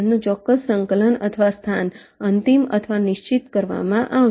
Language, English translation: Gujarati, they, their exact coordinate or location will be finalized or fixed